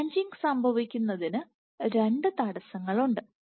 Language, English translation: Malayalam, Now for the branching to occur there are two constraints